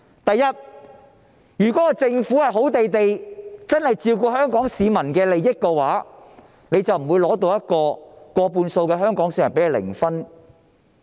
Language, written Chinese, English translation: Cantonese, 首先，如果政府真的能夠好好地照顧香港市民的利益，政府得到的民意，便不會是過半數香港市民給它零分。, First of all if the Government can truly look after the interests of the people of Hong Kong it would not have got zero mark from more than half of the people of Hong Kong in terms of popularity rating in a public opinion poll